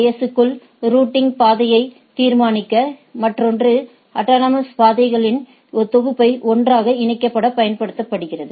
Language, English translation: Tamil, One is to determine the routing paths within the AS; others are used to interconnect a set of autonomous systems right